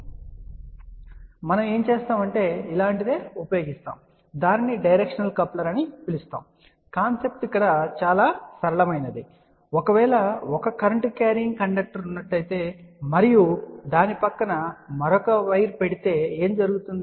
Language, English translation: Telugu, So, what we do we can use something like this which is known as a directional coupler , the concept is simple that if you have a current carrying conductor and if you put a another wire next to that so what will happen